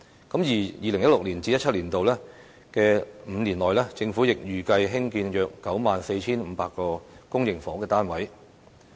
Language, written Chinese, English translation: Cantonese, 在 2016-2017 年度起的5年內，政府亦預計興建約 94,500 個公營房屋單位。, The Government has likewise projected that around 94 500 public housing units will be built during the five years starting from 2016 - 2017